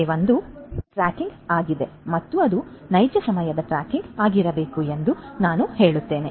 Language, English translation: Kannada, Number 1 is tracking and I would say ideally it should be real time tracking